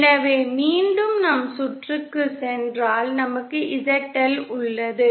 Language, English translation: Tamil, So if go back to our circuit once again we have ZL